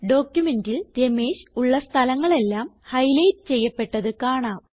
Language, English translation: Malayalam, You see that all the places where Ramesh is written in our document, get highlighted